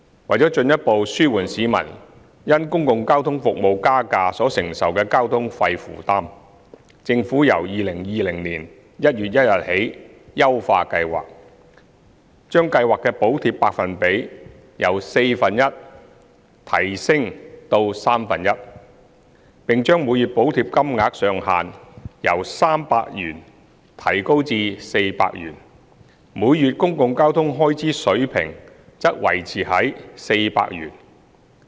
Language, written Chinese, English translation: Cantonese, 為進一步紓緩市民因公共交通服務加價所承受的交通費負擔，政府由2020年1月1日起優化計劃，將計劃的補貼百分比由四分之一提升至三分之一，並將每月補貼金額上限由300元提高至400元，而每月公共交通開支水平則維持於400元。, To further alleviate commuters fare burden arising from increasing public transport expenses the Government has enhanced the Scheme from 1 January 2020 by increasing the subsidy rate of the Scheme from one fourth to one third of the monthly public transport expenses in excess of 400 as well as raising the subsidy cap from 300 to 400 per month . The level of monthly public transport expenses is maintained at 400